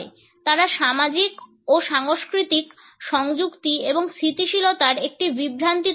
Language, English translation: Bengali, They create an illusion of social and cultural affiliation and stability